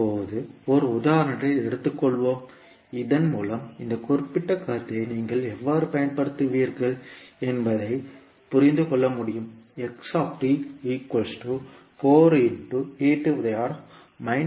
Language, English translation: Tamil, Now let us take one example so that you can understand how will you utilise this particular concept